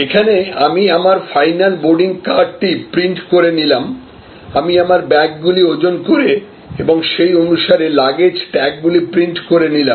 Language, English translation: Bengali, Here, I could print out my final boarding card, I could weigh my bags and accordingly, I could print out my baggage tags